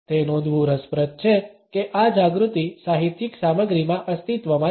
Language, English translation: Gujarati, It is interesting to note that this awareness has existed in literary content